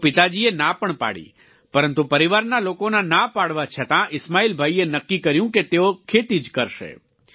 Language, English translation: Gujarati, Hence the father dissuaded…yet despite family members discouraging, Ismail Bhai decided that he would certainly take up farming